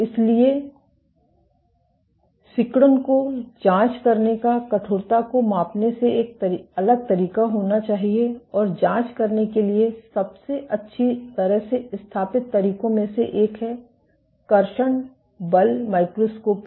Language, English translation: Hindi, So, they have to be a different way of probing contractility independent of measuring stiffness, and one of the most well established ways of probing contractility is traction force microscopy